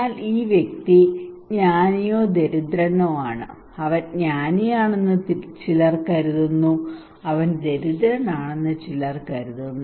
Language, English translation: Malayalam, But this person is wise or poor somebody thinks he is wise somebody thinks he is poor right